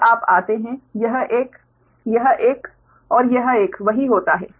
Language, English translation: Hindi, similarly, when you come to this one, this one and this one, same